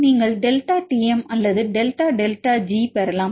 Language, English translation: Tamil, Either you can get the delta Tm or delta delta G